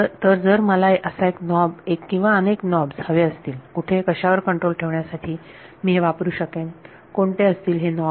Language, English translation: Marathi, So, if I wanted a knob or a several knobs where, which I can keep a control on this what are those knobs